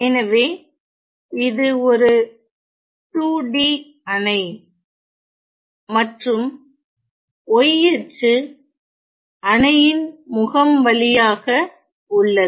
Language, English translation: Tamil, So, it is a 2 D dam and in such a way that the y axis is along the face of the dam